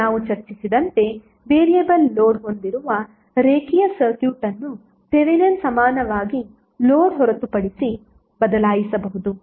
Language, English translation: Kannada, Now as we have discussed that linear circuit with variable load can be replaced by Thevenin equivalent excluding the load